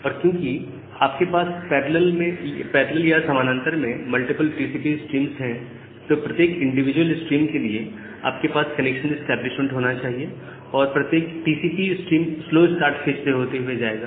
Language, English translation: Hindi, But, because you are having these multiple TCP streams in parallel for every individual stream, you should have this connection establishment and every TCP stream will go through the slow start phase